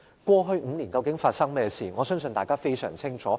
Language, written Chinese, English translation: Cantonese, 過去5年究竟發生何事，我相信大家非常清楚。, We are all aware of the incidents that happened in the past five years